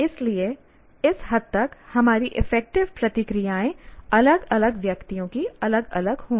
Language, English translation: Hindi, So to that extent our affective responses will differ from individual to individual